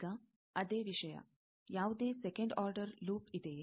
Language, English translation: Kannada, Now, the same thing, is there any second order loop